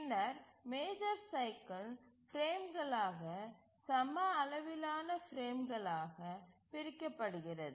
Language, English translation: Tamil, And then the major cycle is divided into frames, equal sized frames